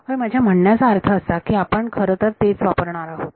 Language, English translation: Marathi, Yeah I mean that is exactly what we are going to do